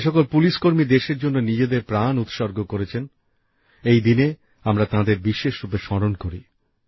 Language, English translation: Bengali, On this day we especially remember our brave hearts of the police who have laid down their lives in the service of the country